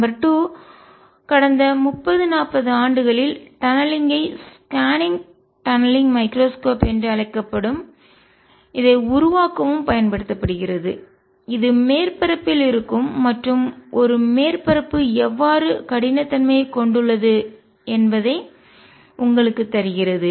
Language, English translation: Tamil, Number 2 more recently with in past 30, 40 years tunneling has also been used to make something call the scanning, tunneling microscope that actually gives you how a surface where is on our surface has roughness